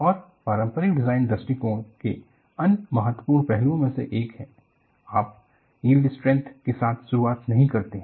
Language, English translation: Hindi, And one of the other important aspects of conventional design approach is, you do not operate with the yield strength to start with